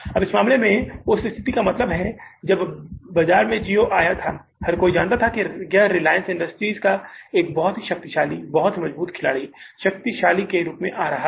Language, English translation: Hindi, Now in this case, means that situation when the Gio came in the market, everybody knew that it is coming from a very, very powerful player, very, very, strengthful company very strengthful, powerful name in the market, reliance industries